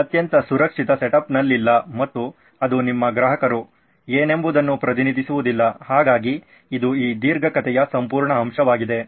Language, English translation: Kannada, Not in a very safe setup in and which does not represent what your customer is, so that is the whole point of this long story